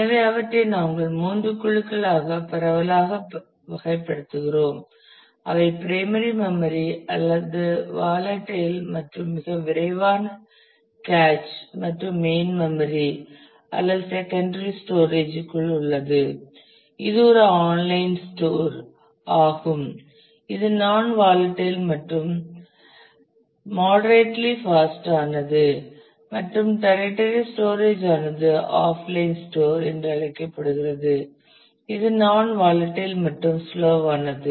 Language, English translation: Tamil, So, we broadly classify them in to three groups primary storage which is volatile and very fast cache and main memory is within that or secondary storage which is an online store which is non volatile and moderately fast and tertiary storage is called the offline store which is non volatile and slow